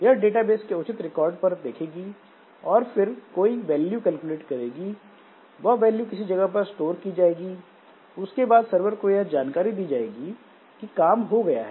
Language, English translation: Hindi, So, it will look into the appropriate records of the database and then maybe calculate some value and the return value is stored at some place and then it informs the server that, okay, my job is over